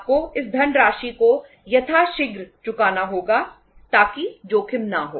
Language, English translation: Hindi, You have to repay these funds as early as possible or as quickly as possible so that risk would be there